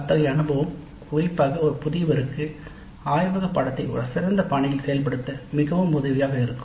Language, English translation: Tamil, So, such an exposure itself, particularly for a novice, would be very helpful in implementing the laboratory course in a better fashion